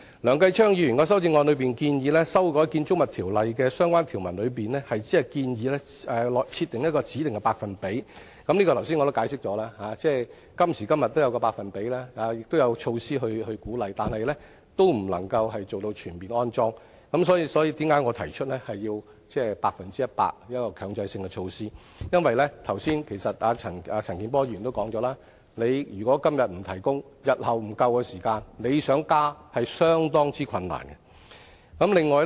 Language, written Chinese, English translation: Cantonese, 梁繼昌議員的修正案中建議修改《建築物條例》的相關條文中，只建議設定一個指定的百分比的車位，這方面我剛才已解釋，今時今日也設有一個百分比，亦有鼓勵的措施，但仍未能達到全面安裝充電設施，所以，為甚麼我提出要有百分之一百的強制性措施，因為剛才陳健波議員也說了，如果今天不提供電力設施，日後電力供應不足夠時才想加設，已是相當困難了。, Mr Kenneth LEUNGs amendment proposes to amend the relevant provisions of the Buildings Ordinance to mandate the provision of charging facilities only at a specified percentage of parking spaces . As I have explained the full installation of charging facilities is not achievable despite the setting of a percentage target and the availability of facilitating measures . I have proposed to mandate the full installation of charging facilities because as Mr CHAN Kin - por has pointed out it will be hard to retrofit parking spaces with electricity facilities when it is found out later that the power supply capacity is insufficient